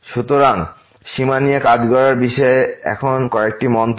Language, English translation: Bengali, So, now few remarks on working with the limits